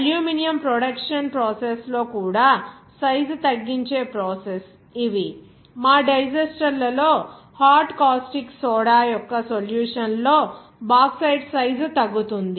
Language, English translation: Telugu, These are the process involved in size reduction even in the aluminum production process you will that Bauxite is reduced in size in a solution of hot caustic soda in our digesters